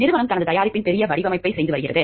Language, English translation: Tamil, The company is doing a major redesign of its product